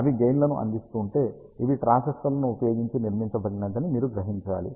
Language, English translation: Telugu, If they are providing gain, you must guess that these are, of course built using transistors